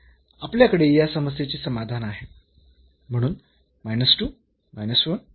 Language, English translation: Marathi, So, we have the solution of this problem